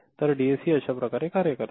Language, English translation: Marathi, So, this is how your DAC works